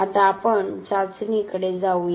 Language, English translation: Marathi, Now let us move on to the test